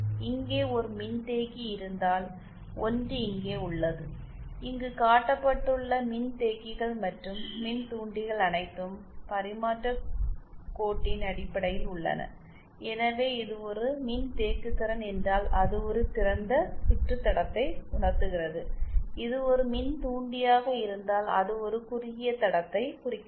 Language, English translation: Tamil, One is here if we have a capacitance of course there capacitors and inductors that are shown here are all in terms of transmission line either so if this is a capacitance then it realise a open circuit line and if this is an inductor then it implies a shorted transmission line